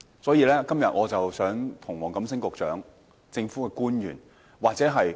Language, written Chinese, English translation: Cantonese, 所以，我今天想向黃錦星局長、政府官員或公務員表達關注。, Therefore today I want to express our concerns to Secretary WONG Kam - sing other government officials and civil servants